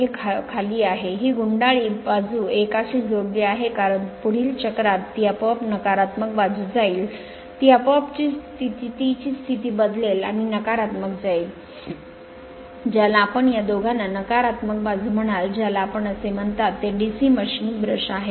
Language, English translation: Marathi, This is down, this coil side is connected to a because next cycle it will go to the negative side automatically it will change its position and go to the negative you are what you call negative side of this these two are called your what you call that you are that DC machine brush right